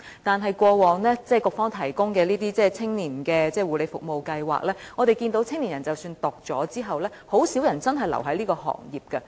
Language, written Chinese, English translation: Cantonese, 但是，過往局方提供的青年護理服務啟航計劃，我們看到青年人即使在修讀課程後，很少人真正留在這個行業。, However from the Navigation Scheme for Young Persons in Care Services provided by the Bureau we see that even the young people have taken the study course only a few will really stay in this sector